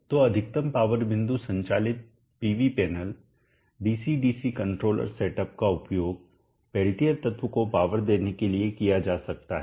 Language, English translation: Hindi, So a maximum power point operated PV panel DC DC controller setup can be used above the peltier element